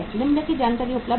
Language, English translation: Hindi, The following information are available